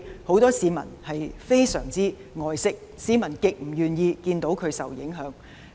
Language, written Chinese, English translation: Cantonese, 很多市民都非常愛惜香港的自然環境，極不願意看到環境受影響。, Many people cherish the natural environment in Hong Kong and they are extremely reluctant to see the environment being affected